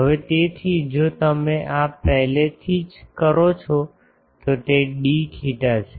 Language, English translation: Gujarati, Now, so, if you do this already it is d theta